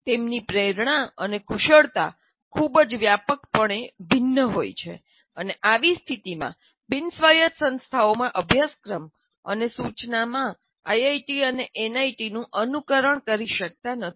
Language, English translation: Gujarati, And in such a situation, the curriculum and instruction in the non autonomous institutions cannot and should not emulate IITs and NITs